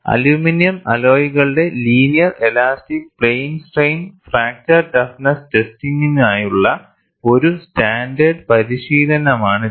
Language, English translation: Malayalam, This is a standard practice for linear elastic plane strain fracture toughness testing of aluminum alloys